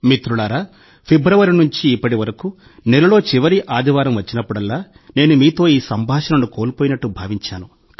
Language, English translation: Telugu, Friends, since February until now, whenever the last Sunday of the month would come, I would miss this dialogue with you a lot